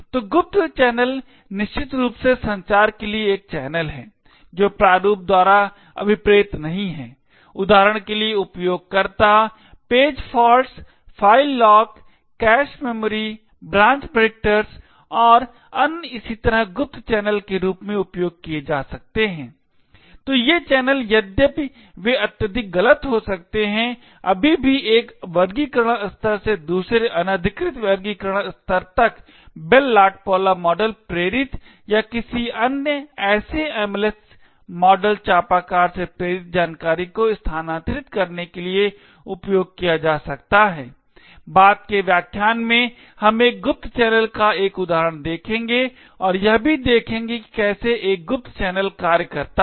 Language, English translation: Hindi, So covert channels are essentially a channel for communication which is not intended by design, for example the user page faults, file lock, cache memory, branch predictors and so on can be use as covert channels, so these channels although they are highly noisy can still be used to transfer information from one classification level to another unauthorised classification level inspired of the Bell LaPadula model or any other such MLS model crescent, in a later lecture we will look at an example of a covert channel and will also see how a covert channel works in practice